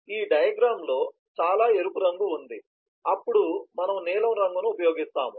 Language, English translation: Telugu, there is a lot of red in this diagram, then we will use blue